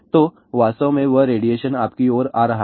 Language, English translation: Hindi, So in fact, that radiation is coming towards you